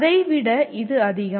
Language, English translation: Tamil, It is much more than that